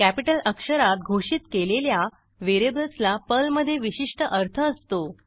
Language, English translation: Marathi, Variables declared with CAPITAL letters have special meaning in Perl